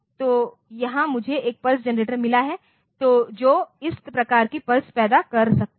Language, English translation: Hindi, So, here I have got a pulse generator that can generate this type of pulses and